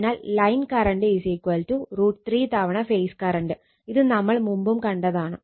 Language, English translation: Malayalam, So, line current will be is equal to root 3 times phase current, this we have seen earlier also